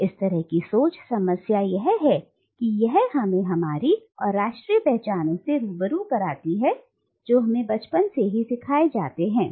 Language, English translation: Hindi, So such a mode of thinking, the problem is that, it robs us of our national identities that we have been taught to cherish since childhood